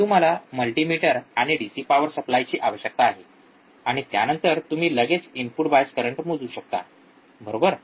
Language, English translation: Marathi, You just need multimeter you just need DC power supply and then you can measure this input bias current quickly, right